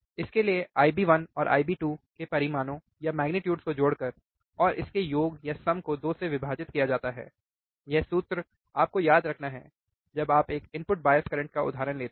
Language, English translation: Hindi, By adding the magnitudes of I B one I B 2 and dividing the sum by 2, this is the formula that you have to remember, when you take a example of an input bias current, right